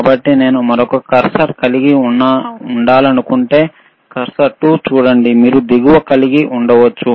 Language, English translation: Telugu, So, if I want to have another cursor, see cursor 2, you can have the bottom,